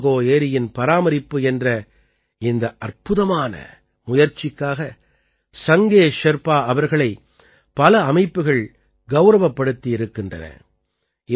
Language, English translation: Tamil, Sange Sherpa has also been honored by many organizations for this unique effort to conserve Tsomgo Somgo lake